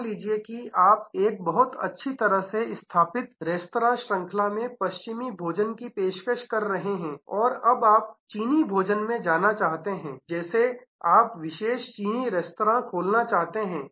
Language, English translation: Hindi, Suppose you are a very well established restaurant chain offering western food and now, you want to get in to Chinese you want to open specialized Chinese restaurants